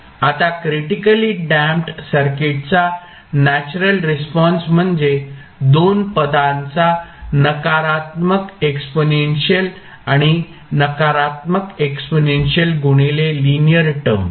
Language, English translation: Marathi, Now, the natural response of the critically damped circuit is sum of 2 terms the negative exponential and negative exponential multiplied by a linear term